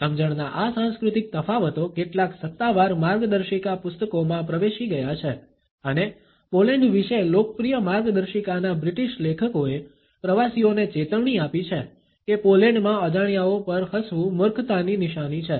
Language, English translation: Gujarati, These cultural differences of understanding have seeped into some official guide books and British authors of a popular guidebook about Poland have warn tourists that is smiling at strangers in Poland is perceived is a sign of stupidity